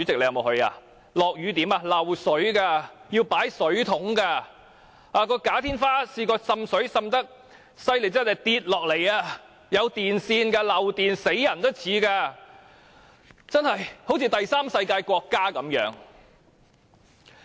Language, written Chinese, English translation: Cantonese, 那裏下雨時會漏水的，要擺放水桶裝水，"假天花"曾經因滲水太嚴重而塌下，內裏藏有電線，是會危害人命的，那裏就像第三世界國家一樣。, On rainy days water will be leaking and buckets have to be placed there to receive the water . The suspended ceiling had once come off as a result of excessively serious water seepage and the electrical cables embedded in it can be hazardous . That place is like a Third World country